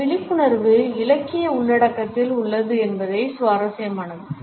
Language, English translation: Tamil, It is interesting to note that this awareness has existed in literary content